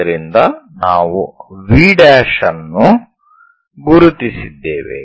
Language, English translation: Kannada, So, we have identified V prime